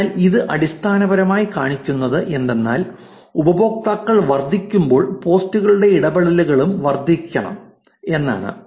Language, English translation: Malayalam, So, this basically shows that even though the users are increasing, which means the posts should be increasing, the engagement should be increasing